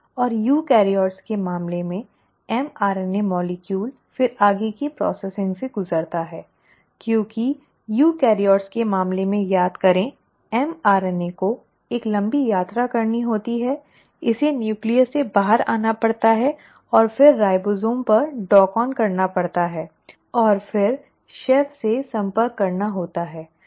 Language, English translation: Hindi, And in case of eukaryotes the mRNA molecule then undergoes further processing because remember in case of eukaryotes, the mRNA has to travel a long journey, it has to come out of the nucleus and then dock on to a ribosome and then approach the chef